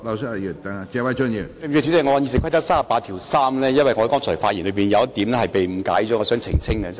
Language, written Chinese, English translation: Cantonese, 主席，對不起，我想根據《議事規則》第383條澄清，因為我剛才發言時有一點被誤解，我想澄清。, My apologies President . I would like to give an explanation under Rule 383 of the Rules of Procedure because in my speech earlier there was one point which was misunderstood . I wish to clarify it